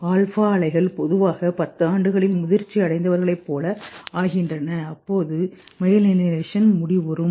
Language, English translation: Tamil, Alpha waves normally become like mature people by the age of 10 years when malignation is complete